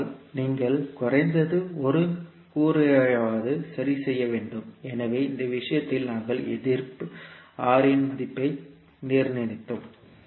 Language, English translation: Tamil, But you have to fix at least one component, so in this case we fixed the value of Resistance R